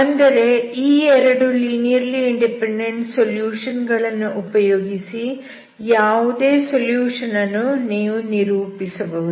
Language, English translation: Kannada, That means any solution you can represent in terms of these two linearly independent solutions